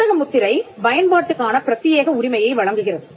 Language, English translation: Tamil, The trademark confers an exclusive right to use